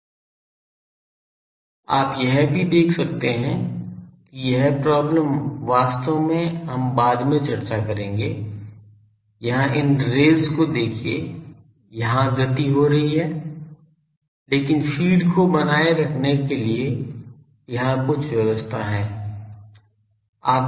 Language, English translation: Hindi, Also you see that this problem actually we will later discuss that the rays are look at here the speed is getting it here, but there are some arrangement here for maintaining the feed